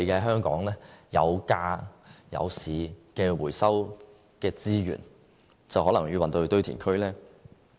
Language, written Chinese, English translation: Cantonese, 香港有價有市的回收資源，可能要運往堆填區。, These recycled resources are marketable but now they are likely to be sent to landfills